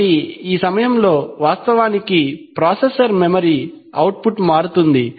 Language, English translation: Telugu, So, actually in the processor memory the output changes at this point of time